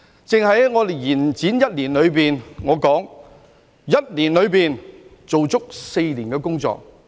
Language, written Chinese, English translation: Cantonese, 在延展的一年內，我說我們在1年內做足4年的工作。, During this year - long extension for my money we have done four years worth of work in one year